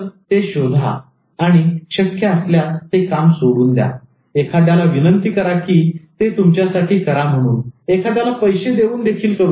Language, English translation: Marathi, So find out and if you can actually just remove that work, request somebody to do that for you, even pay someone to get that done for you